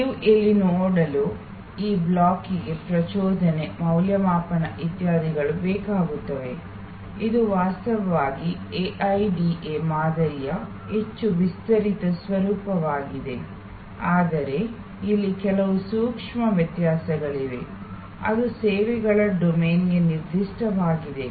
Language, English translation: Kannada, This block that you see here need arousal, evaluation, etc, it is actually a more expanded format of the AIDA model, but there are some nuances here which are particular to the services domain